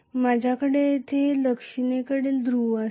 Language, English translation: Marathi, I may have a south pole here